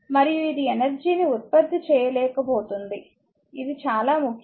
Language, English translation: Telugu, And it is incapable of generating energy, this is very important for you